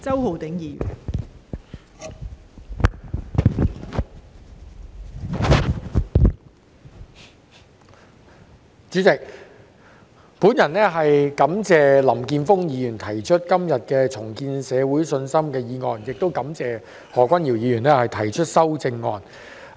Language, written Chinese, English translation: Cantonese, 代理主席，我感謝林健鋒議員今天提出"重建社會信心"的議案，亦感謝何君堯議員提出修正案。, Deputy President I thank Mr Jeffrey LAM for proposing the motion on Rebuilding public confidence today and Dr Junius HO for proposing the amendment